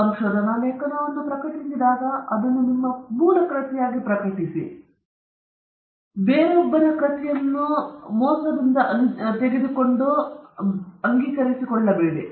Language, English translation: Kannada, When you publish a research article, you publish it as your original work, but you are lifting it or you are taking it from someone elseÕs work without properly acknowledging